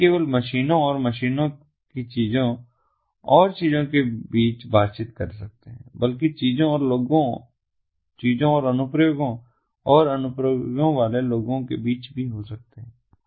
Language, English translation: Hindi, they can be interactions between ah, not only machines and machines, things and things, but also things and people, things and applications and people with applications